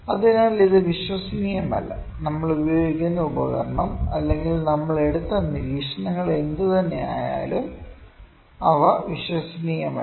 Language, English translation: Malayalam, So, it is not reliable; whatever the instrument we are using or whatever the observations we have taken those are not reliable, because those are very randomly scattered